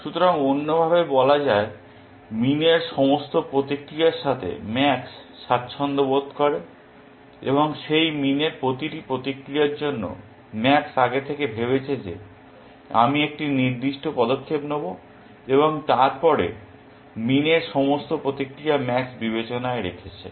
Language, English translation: Bengali, So, in other words, max is comfortable with all of min’s responses, and for each of those min’s responses max has thought ahead that I will make one particular move and then, max is taken into account, all of min’s responses